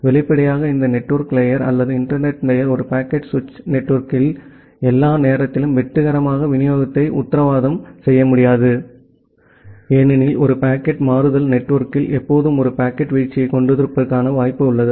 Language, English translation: Tamil, Obviously this network layer or the internet layer it doesn’t able to guarantee the successful delivery all the time in a packet switching network, because in a packet switching network, there is always a possibility of having a packet drop